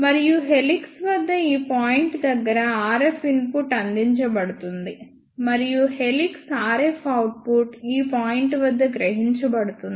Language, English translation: Telugu, And at this point of helix RF input is provided; and at this point of helix RF output is taken